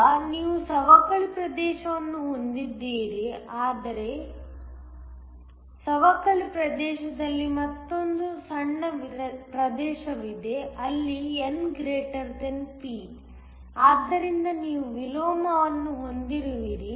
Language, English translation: Kannada, Now, you have a depletion region, but within the depletion region there is another smaller region where N > P, so, that you have inversion